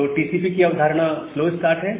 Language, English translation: Hindi, So, that is the notion of TCP slow start